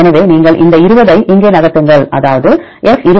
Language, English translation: Tamil, So, you move this 20 here; that means, F by 20 equal to 1 minus 0